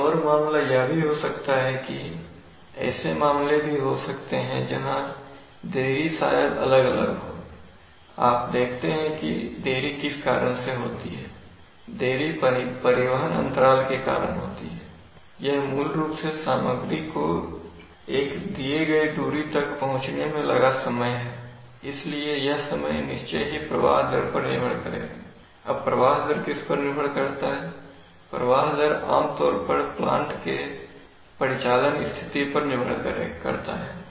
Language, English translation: Hindi, There may be another case also there maybe cases where the delay maybe varying, you see the delay is caused by what, delay is caused by transportation lag, so basically it is a time required for the material to flow at a given, flow a given distance, now this flow I given distance how much time is required that is the time delay obviously depends on the flow rate, now the flow rate depends on what, flow rate depends generally on the operating condition of the plant, right